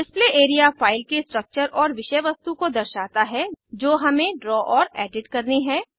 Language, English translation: Hindi, Display area shows the structures and the contents of the file that we draw and edit